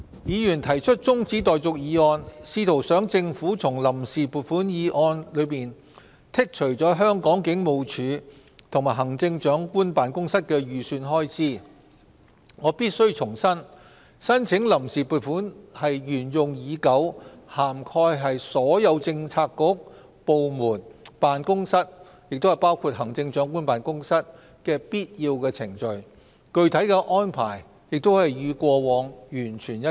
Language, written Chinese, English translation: Cantonese, 議員提出中止待續議案，試圖想政府從臨時撥款議案中剔除香港警務處及行政長官辦公室的預算開支，我必須重申，申請臨時撥款是沿用已久、涵蓋所有政策局、部門、辦公室，包括行政長官辦公室的必要程序，具體安排亦與過往完全一致。, With regards to the adjournment motion moved by a Member which attempted to make the Government delete the estimated expenditures of the Hong Kong Police and the Chief Executives Office from the Vote on Account Resolution I have to reiterate that the Vote on Account is a long - established practice and a necessary procedure which covers all Policy Bureaux departments offices including the Chief Executives Office and this specific arrangement is also identical to that of the past